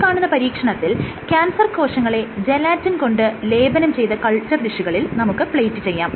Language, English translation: Malayalam, So, this is an experiment, in which cells have been plated, these are cancer cells, which have been plated on gelatin coated dishes